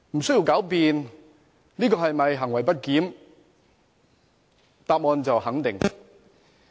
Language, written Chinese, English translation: Cantonese, 這是否行為不檢，無須狡辯，答案是肯定的。, As to the question of whether it is misbehaviour the answer is in the affirmative with no room for sophistry